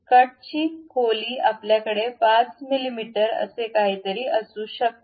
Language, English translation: Marathi, The depth of the cut we can have something like 5 mm, 5